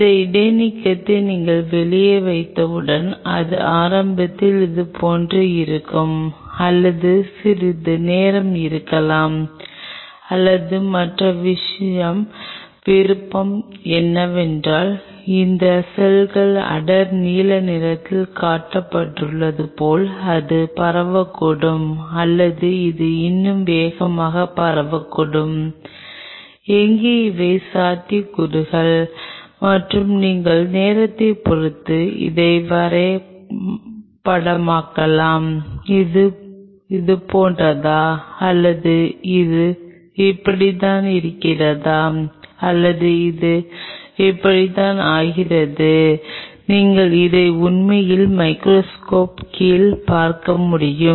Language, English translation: Tamil, Once you put this suspension out there, either it will remain like this initially or may remain it for a while or the other option is that it may spread out like this cells are shown in dark blue or it may spread even faster like this, where these are the possibilities and you can map it with respect to time and does this one becomes like this, or this one remains like this, or this one becomes like this you really can see it under the microscopy So, what you needed is that you needed a microscope over there which will give you an idea that how this molecule is interacting